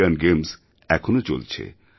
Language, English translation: Bengali, The Asian Games are going on